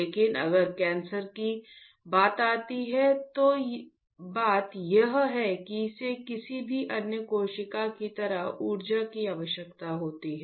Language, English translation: Hindi, But coming to cancer if I so, the point is it requires energy like any other cell